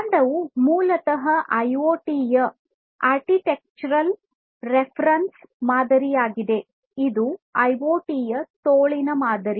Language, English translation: Kannada, So, this is this trunk is basically the architectural reference model of IoT, the arm model of IoT